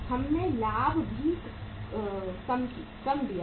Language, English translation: Hindi, We have lent out the profit also